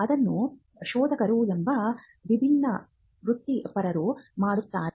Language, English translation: Kannada, It is done by a different set of professionals called searchers